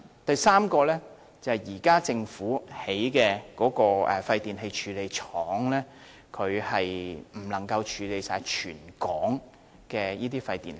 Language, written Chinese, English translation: Cantonese, 第三，政府現時興建的廢電器處理廠未能處理全港所有的廢電器。, Third the e - waste recycling facility to be built by the Government will not be able to handle all e - waste in the territory